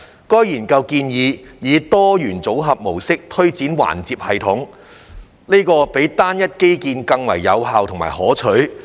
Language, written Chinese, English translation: Cantonese, 該研究建議，以"多元組合"模式推展環接系統，這比單一基建更為有效和可取。, The study suggested implementing a multi - modal EFLS which would be more effective and desirable than a standalone infrastructure